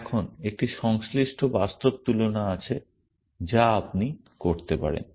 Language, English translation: Bengali, Now, there is a corresponding implementational comparison that you can make